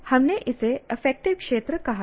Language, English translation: Hindi, We called it affective domain